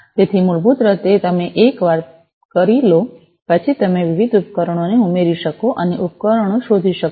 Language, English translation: Gujarati, So, basically you know, so once you do that, you would be able to add the different devices and discover devices